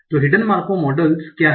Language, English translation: Hindi, So what is a Markov model